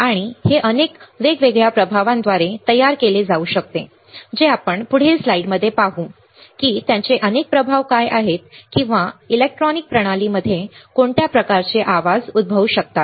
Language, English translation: Marathi, And it can be produced by several different effects right which we will see in the next slide its what are the several effects or what are kind of noise that can arise in a electronic system